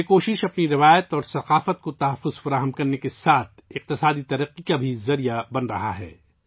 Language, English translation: Urdu, Along with preserving our tradition and culture, this effort is also becoming a means of economic progress